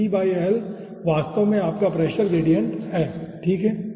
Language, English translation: Hindi, so p by l is actually your pressure gradient